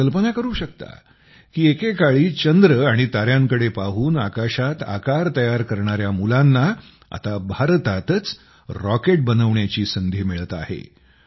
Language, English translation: Marathi, You can imagine those children who once used to draw shapes in the sky, looking at the moon and stars, are now getting a chance to make rockets in India itself